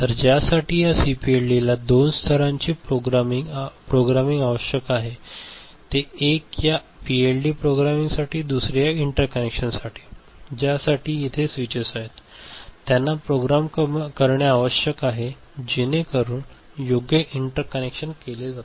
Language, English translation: Marathi, So, for which this CPLD requires two level of programming one is for this PLD programming another is for these interconnections, the switches are there they need to be programmed so that appropriate interconnections are made